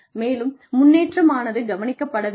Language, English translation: Tamil, And, the improvement should be noticed